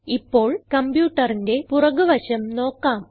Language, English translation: Malayalam, Now lets look at the back of the computer